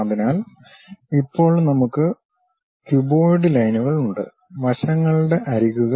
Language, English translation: Malayalam, So, now we have the cuboid lines, the sides edges